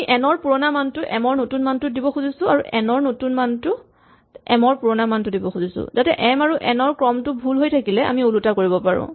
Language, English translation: Assamese, We want to make the new value of m, the old value of n and the new value of n, the old value of m, so that in case m and n were in the wrong order we reverse them